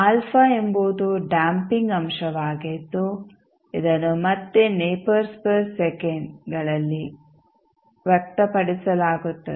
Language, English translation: Kannada, Alpha is the damping factor which is again expressed in nepers per second